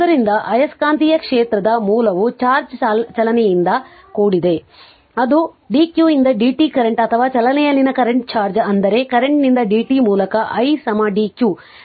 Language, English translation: Kannada, So, the source of the magnetic field is here what you call charge in motion that is current dq by dt or current charge in motion that is i is equal to dq by dt your current right